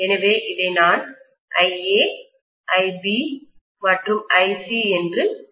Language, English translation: Tamil, So I am showing this as IA, IB and IC